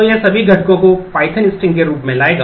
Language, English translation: Hindi, So, it will bring in as all the components as one as a python string